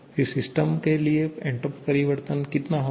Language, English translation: Hindi, Then, entropy change for the system will be how much